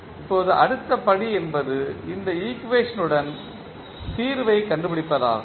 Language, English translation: Tamil, Now, the next step is the finding out the solution of these equation